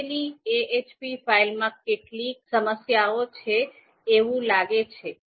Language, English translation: Gujarati, So ahp file this we just created, so there was some problem it seems there